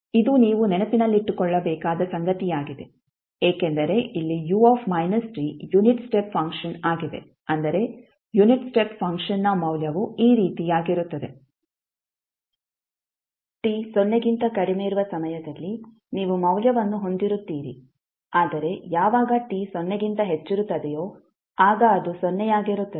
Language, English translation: Kannada, So, this is something which you have to keep in mind because here the unit is step function is u minus t it means that the value of unit step function is like this were you have a value at time t is equal to, less than t is equal to 0 but it is 0, when t greater than 0